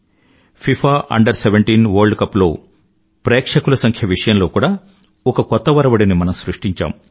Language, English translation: Telugu, FIFA Under 17 World Cup had created a record in terms of the number of viewers on the ground